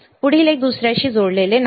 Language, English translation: Marathi, The next one is not connected to second one